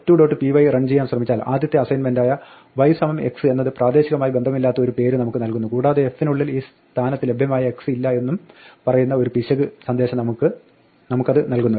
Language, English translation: Malayalam, Now if you try to run f 2 dot py, then it gives us an error saying that the original assignment y equal to x gives us an unbound local name there is no x which is available at this point inside f